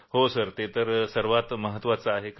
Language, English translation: Marathi, Yes sir that is the most important thing